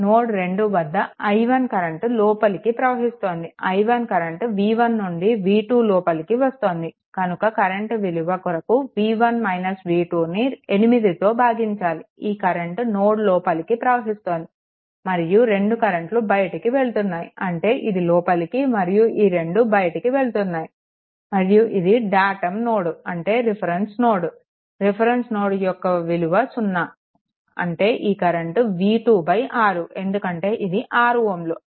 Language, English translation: Telugu, Then this current i 1 actually entering this current i 1 is actually entering this current will be v 1 minus this current will be v 1 minus v 2 ah divided by 8; this current is entering then at node 2 other 2 currents are leaving; that means, this is entering and another current this 2 2 your datum node reference node reference voltage is 0; that means, these 2 will be v 2 by 6 because this is 6 ohm right